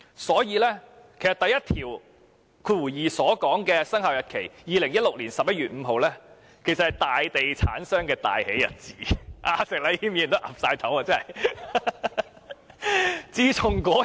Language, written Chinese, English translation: Cantonese, 所以，第12條所訂的生效日期，即2016年11月5日，其實是大地產商的大喜日子，石禮謙議員也點頭認同。, For this reason the commencement date prescribed in clause 12 ie . 5 November 2016 was actually a joyful day for the major real estate developers . Mr Abraham SHEK is nodding in agreement